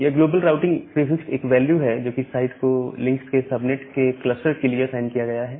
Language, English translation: Hindi, Now, this global routing prefix it is a value which is assigned to a site for a cluster of subnets of the links